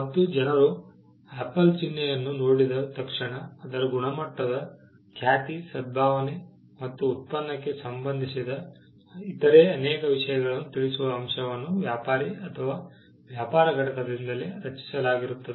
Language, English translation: Kannada, The fact that people look at the Apple logo and attribute quality reputation, goodwill and many other things to the product was created by the trader or by the business entity itself